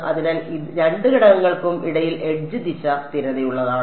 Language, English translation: Malayalam, So, the edge direction is consistent between both the elements